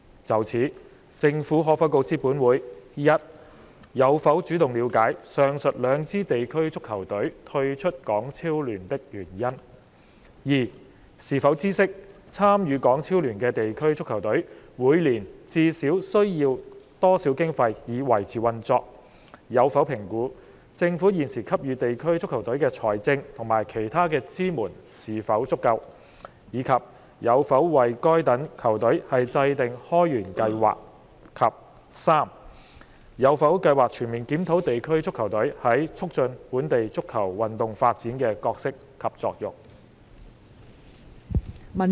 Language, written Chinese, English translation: Cantonese, 就此，政府可否告知本會：一有否主動了解上述兩支地區足球隊退出港超聯的原因；二是否知悉，參與港超聯的地區足球隊每年至少需要多少經費以維持運作；有否評估，政府現時給予地區足球隊的財政及其他支援是否足夠，以及有否為該等球隊制訂開源計劃；及三有否計劃全面檢討地區足球隊在促進本地足球運動發展的角色及作用？, In this connection will the Government inform this Council 1 whether it has taken the initiative to gain an understanding of the reasons for the withdrawal of the aforesaid two district football teams from HKPL; 2 whether it knows the minimum annual funding needed for the continued operation of a district football team which participates in HKPL; whether it has assessed if the existing financial and other support for district football teams are adequate and whether it has formulated plans to create new sources of income for such teams; and 3 whether it has plans to comprehensively review the role and functions of district football teams in promoting local football development?